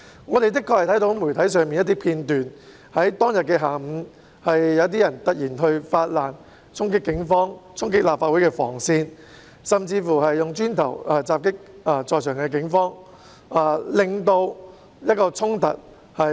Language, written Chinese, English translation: Cantonese, 我們的確從媒體看到一些片段，在當日下午，有些人突然發難，衝擊警方、衝擊立法會的防線，甚至以磚頭襲擊在場的警員，引發衝突。, By watching some video clips from the media we can really see that in the afternoon of that day some people suddenly rose up in revolt attacked the Police and charged at the cordon line at the Legislative Council Complex . They even attacked police officers at the scene with bricks and thus led to the clashes